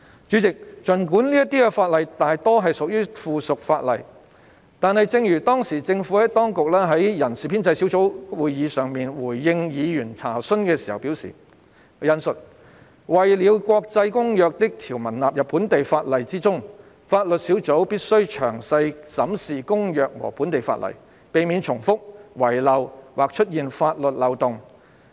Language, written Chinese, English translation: Cantonese, 主席，儘管這些法例大多屬於附屬法例，但正如政府當局當時在人事編制小組委員會會議上回應議員查詢時表示，"為了將國際公約的條文納入本地法例之中，法律小組必須詳細審視公約和本地法例，避免重複、遺漏或出現法律漏洞。, President although most of these legislative amendments are subsidiary legislation as advised by the Administration in response to Members enquiries at the meeting of the Establishment Subcommittee ESC I quote in incorporating the provisions in international conventions into local legislation the Legal Team had to examine the conventions and local laws carefully to forestall duplications omissions and legal loopholes